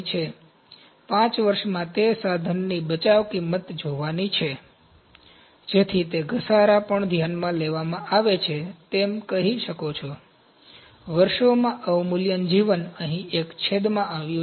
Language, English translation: Gujarati, So, salvage value of that equipment in 5 years that has to be seen, so that is also taken into consideration depreciation you can say, depreciation life in years has come in a denominator here